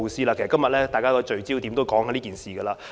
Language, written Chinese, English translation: Cantonese, 其實，今天大家的焦點都集中討論這事。, In fact Members have focused on this issue in our discussion today